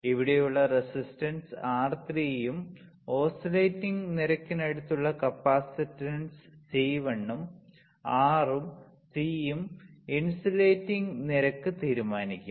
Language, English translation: Malayalam, The resistance R3 which is here and capacitance C1 which is here beside the oscillating rate is R and C will decide the oscillating rate